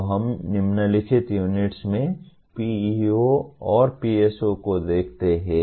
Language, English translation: Hindi, So we look at PEOs and PSOs in the following unit